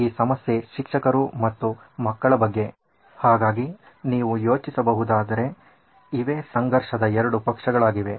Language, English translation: Kannada, So this problem is about teachers and children, so these are the 2 conflicting parties if you can think of that